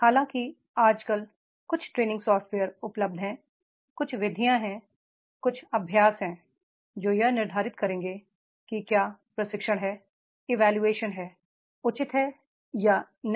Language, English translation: Hindi, However, nowadays there are certain training software is available, there are certain methods are there, certain exercises are there which will determine whether the training was the evaluation was is proper or not